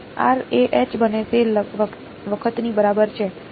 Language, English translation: Gujarati, r is equal to a times H becomes